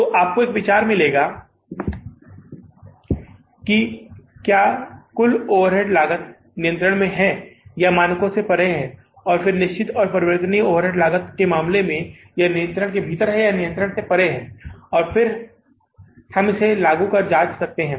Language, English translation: Hindi, So you will get an idea that whether the total overhead cost is under control or it is going beyond the standards and in case case of the fixed and variable over the cost, whether it is within the control or it is going beyond the control and then we can apply the check